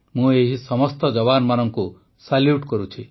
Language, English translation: Odia, I salute all these jawans